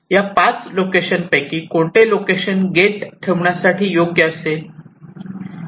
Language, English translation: Marathi, so, out of this five locations, which is the best location to place this gate